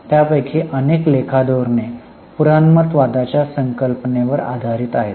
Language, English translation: Marathi, Several of those accounting policies are based on the concept of conservatism